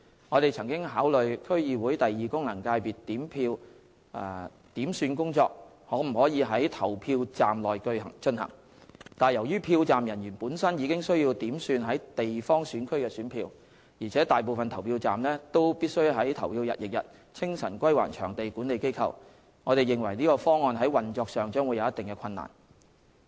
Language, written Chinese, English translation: Cantonese, 我們曾考慮區議會功能界別選票點算工作可否在投票站內進行，但由於票站人員本身已需要點算地方選區的選票，而且大部分投票站必須在投票日翌日清晨歸還場地管理機構，我們認為這個方案在運作上將會有一定的困難。, We have examined the feasibility of counting the votes of DC second FC in polling stations . We consider that this option would involve much operational difficulty as polling staff are already responsible for the counting of votes of the geographical constituency and most of the polling stations need to be returned to the venue management in the early morning on the day following the polling day